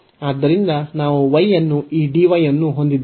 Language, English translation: Kannada, So, we have y and this dy